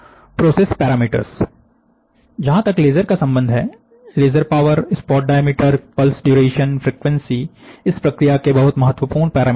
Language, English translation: Hindi, So, the process parameters are, as far as laser is concerned, laser power, spot diameter, pulse duration, frequency, are very important